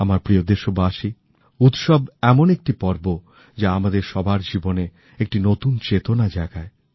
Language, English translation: Bengali, My dear countrymen, festivals are occasions that awaken a new consciousness in our lives